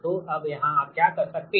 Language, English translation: Hindi, so what you have to do is that you have to